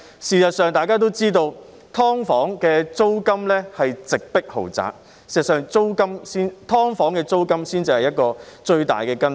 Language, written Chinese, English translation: Cantonese, 事實上，大家也知道，"劏房"租金直迫豪宅，"劏房"租金才是問題最大的根本。, As a matter of fact we all know that the rentals of subdivided units are comparable to those of luxurious housing and the root of the problem deep down is the rental level of subdivided units